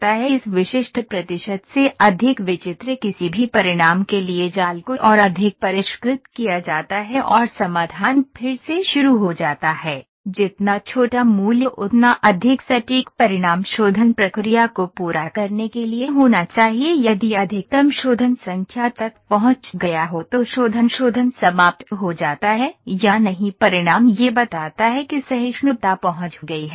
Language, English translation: Hindi, For any results strange greater than this specific percentage the mesh is further refined and the solution rerun, the smaller the value is the more accurate the results must be to complete the refinement process question if maximum number of mesh refinements is reached the refinement process terminates whether the results converges tolerance has been reached or not